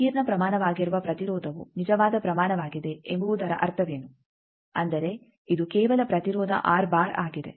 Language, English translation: Kannada, What do mean by this that impedance which is a complex quantity is a real quantity; that means, it is simply the resistance r